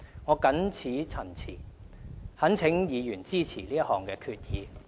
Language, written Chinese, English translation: Cantonese, 我謹此陳辭，懇請議員支持這項決議。, With the above remarks I urge Members to support the resolution